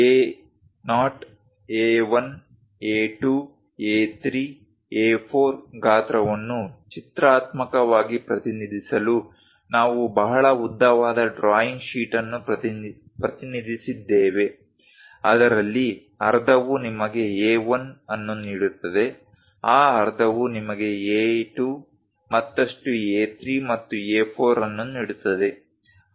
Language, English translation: Kannada, To represent pictorially the A0 size A1, A2, A3, A4, we have represented a very long drawing sheet; half of that gives you A1, in that half gives you A2, further A3, and A4